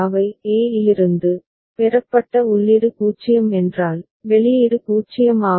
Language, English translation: Tamil, From a, if input received is 0, output is 0